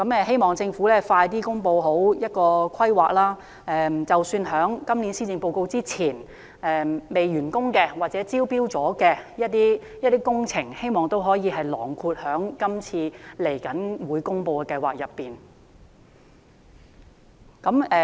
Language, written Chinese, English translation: Cantonese, 希望政府盡快公布計劃詳情，並希望即使在今年施政報告公布前尚未完工或已招標的工程，也可以納入在今次的計劃當中。, We are highly supportive of this scheme and hope the Government will announce the details as soon as possible . We also hope that ongoing works or those for which tender has been awarded before the delivery of the Policy Address will be included in the scheme